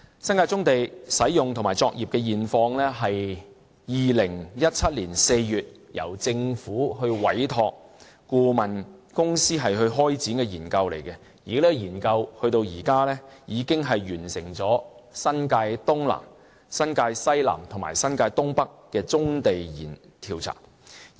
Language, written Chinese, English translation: Cantonese, 新界棕地的使用和作業現況是2017年4月由政府委託顧問公司開展的研究，而這項研究至今已完成新界東南、新界西南和新界東北的棕地調查。, This Study was entrusted to a consultancy by the Government in April 2017 and so far the surveys on South - east New Territories South - west New Territories and North - east New Territories have already been completed